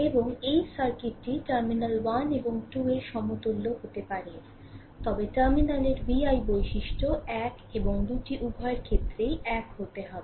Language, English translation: Bengali, And this circuit can be equivalent to this one at terminal 1 and 2, but v i characteristic at terminal one and two has to be same for both the cases right